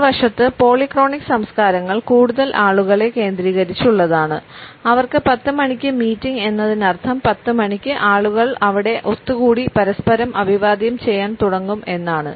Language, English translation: Malayalam, On the other hand polychronic cultures are more people centered and for them a 10 o clock meeting means at 10 o clock people going to start assembling there and start greeting each other